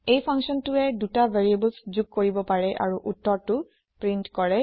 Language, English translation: Assamese, This function performs the addition of 2 variables and prints the answer